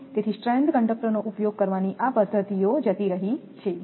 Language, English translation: Gujarati, So, methods like using stranderd conductor this is gone